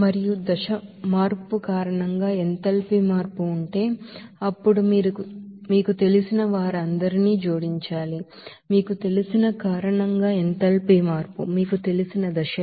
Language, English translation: Telugu, And also if there is a enthalpy change due to the phase change, then you have to add up all those you know, that enthalpy change due to that you know, change of you know phases